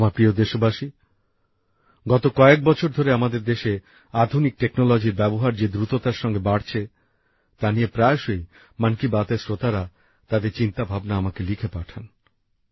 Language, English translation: Bengali, in the last few years, the pace at which the use of modern technology has increased in our country, the listeners of 'Mann Ki Baat' often keep writing to me about it